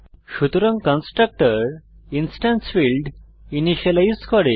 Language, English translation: Bengali, So the constructor initializes the instance field